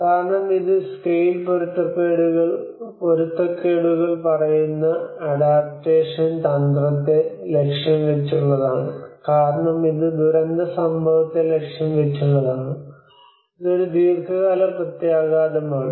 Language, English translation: Malayalam, This because it is aimed at the adaptation strategy which tells of scale mismatches because it is aimed at disaster event, it is a long term implications